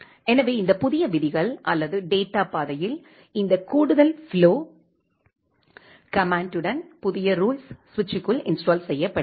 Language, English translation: Tamil, So, these new rules or this with this with this add flow command in the data path, the new rule is being installed inside the switch